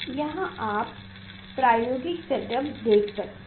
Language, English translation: Hindi, here you can see the experimental setup